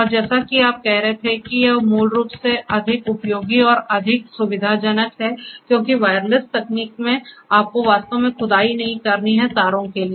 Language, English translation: Hindi, And as you were saying that, it is more useful and more convenient basically because wireless technology you do not have to really the dig wires and through that